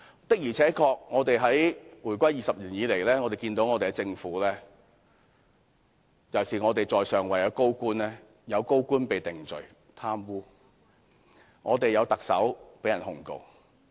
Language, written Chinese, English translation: Cantonese, 的而且確，回歸20年以來，我們看到政府尤其是在上位的高官的情況，有高官因貪污而被定罪，亦有特首被控告。, It has been 20 years since the reunification and we can see the situation of the Government particularly senior government officials in the top echelon . There were senior government officials being convicted of corruption and the former Chief Executive was subject to prosecution